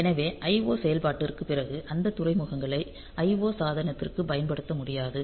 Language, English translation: Tamil, So, you cannot use those ports for IO device after IO operation